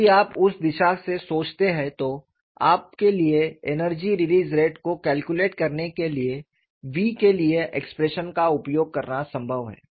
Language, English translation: Hindi, If you think from that direction, it is possible for you to use the expression for v to calculate the energy release rate